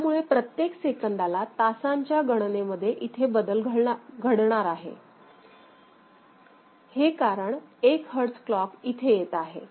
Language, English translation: Marathi, So, every one second there will be a change here in this hour count ok, every one second because now 1hertz clock is now feeding it directly